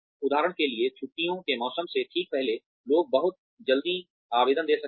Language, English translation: Hindi, For example, just before the holiday season, people may give, very quick appraisals